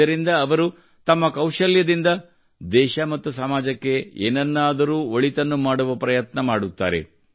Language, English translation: Kannada, Learning from this, they also try to do something better for the country and society with their skills